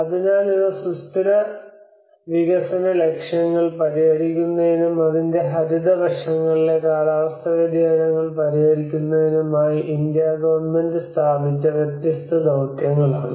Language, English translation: Malayalam, So these are different missions which were established by the Government of India and in order to address the sustainable development goals and as well as the climate change on the green aspects of it